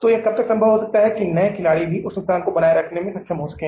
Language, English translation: Hindi, So, it may be possible that even the new player, how long the new player will also be able to sustain that loss